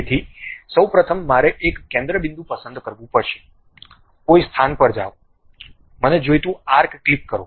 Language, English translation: Gujarati, So, first of all I have to pick center point, go to some location, click arc I want